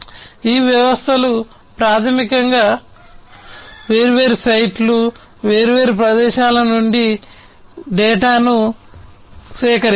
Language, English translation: Telugu, So, these systems basically would collect the data from different sites, different locations